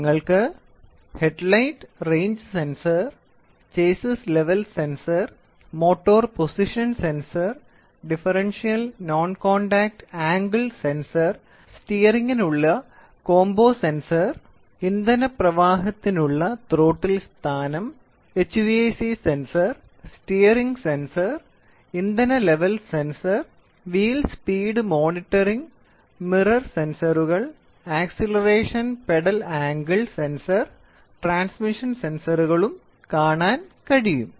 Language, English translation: Malayalam, You can see headlight range, chassis level sensor, motor position sensor, differential non contact angular sensor, combo sensor for steering, throttle position for fuel flow, HVAC sensor, then steering sensor, then fuel level sensor, wheel speed monitoring, mirror sensors, acceleration pedals and transmission systems